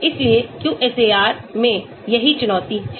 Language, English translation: Hindi, That is why that is the challenge in QSAR